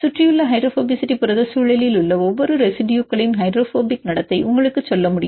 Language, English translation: Tamil, The surrounding hydrophobicity can tell you the hydrophobic behavior of each residue in protein environment